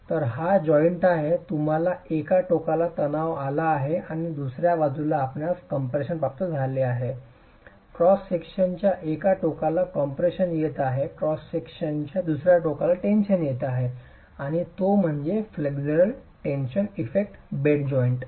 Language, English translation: Marathi, One end of the cross section is experiencing compression, the other end of the cross section is experiencing tension and that's the flexual tension effect on the bed joint